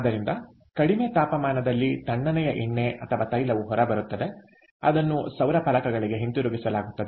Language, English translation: Kannada, so therefore, what comes out is cold oil or oil at a lower temperature, which is fed back to the solar panels